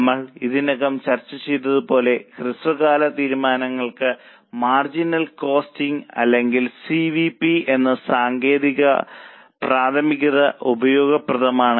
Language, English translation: Malayalam, As we have already discussed, the technique of marginal costing or CVP is primarily useful for short term decisions